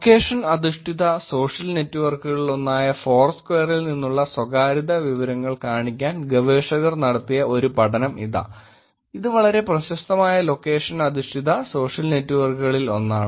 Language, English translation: Malayalam, Here is one study that researchers have done to show that privacy information from Foursquare which is one of the location based social networks, one of the very popular location based social network